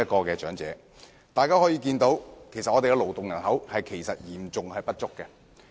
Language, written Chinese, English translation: Cantonese, 由此可見，香港的勞動人口嚴重不足。, It can thus be seen that Hong Kong will face a serious labour shortage